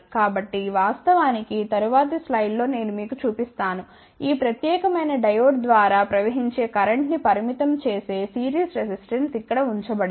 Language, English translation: Telugu, So, in fact, in the next slide I will show you, a series resistance which is put over here that will limit the current flowing through this particular diode